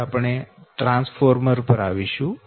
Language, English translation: Gujarati, we will come now to the transformer